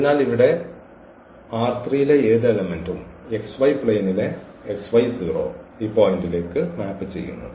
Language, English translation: Malayalam, So, this any element here in R 3 it maps to this point in x y plain that is x y 0